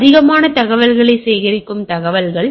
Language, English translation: Tamil, They are more information gathering type of information